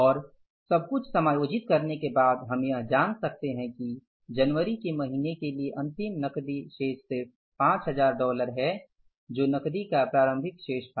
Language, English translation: Hindi, And after adjusting everything, we could find out is that the closing cash balance for the month of January is just $5,000 which was the opening balance of the cash